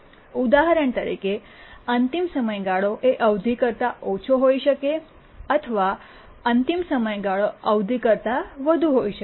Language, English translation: Gujarati, For example, deadline may be less than the period or deadline may be more than the period